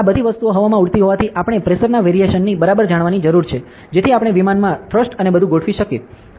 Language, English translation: Gujarati, Since all these things fly in the air, we need to exactly know the pressure variation, so that we could adjust the thrust and everything in the aircraft